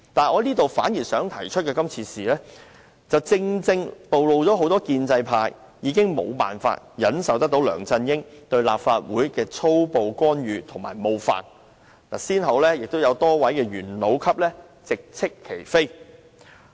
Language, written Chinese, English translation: Cantonese, 我反而想提出的是，今次事件正好暴露了很多建制派已經無法忍受梁振英對立法會的粗暴干預及冒犯，有多位元老級人物先後直斥其非。, What I would like to say is that this incident shows exactly how fed up the pro - establishment camp is with LEUNG Chun - yings crude interference and offending attitude towards the Legislative Council . A number of veteran politicians in the pro - establishment camp have already lashed out at him directly